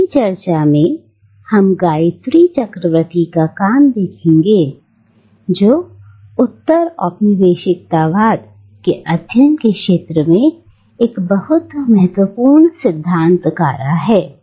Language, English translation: Hindi, In our next meeting we will take up the work of Gayatri Chakravorty Spivak, a very important theorist in the field of postcolonial studies